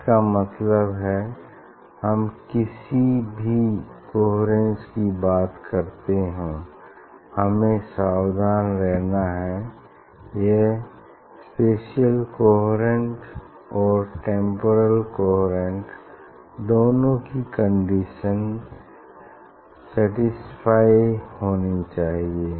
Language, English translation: Hindi, we have to be careful that it has to be spatial coherent spatially coherent as well as it has to be temporal coherent